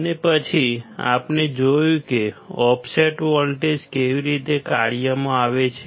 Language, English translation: Gujarati, And then we have seen how offset voltages comes into play